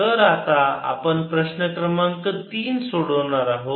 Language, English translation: Marathi, so now we are going to solve a problem, number three